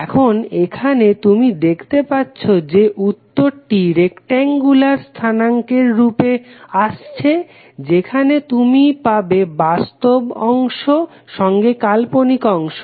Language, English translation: Bengali, Now, here you can see that the result would come in the form of rectangular coordinate where you will have real component as well as imaginary component